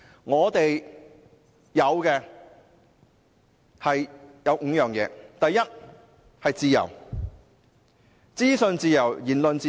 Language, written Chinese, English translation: Cantonese, 我們擁有5項基石，第一項是自由，包括資訊自由和言論自由。, We have five cornerstones . The first one is freedom including the freedom of information and freedom of speech